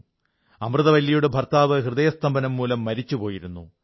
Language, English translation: Malayalam, Amurtha Valli's husband had tragically died of a heart attack